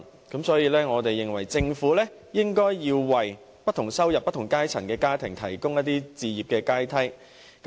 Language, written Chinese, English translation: Cantonese, 因此，我們認為政府應為不同收入、不同階層的家庭提供置業的階梯。, Therefore the Government should provide families of different income levels and social strata with different ladders for home acquisition